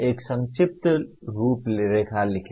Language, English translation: Hindi, Write a brief outline …